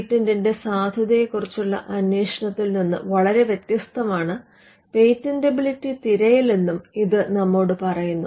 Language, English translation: Malayalam, This also tells us a patentability search is much different from a inquiry into the validity of a patent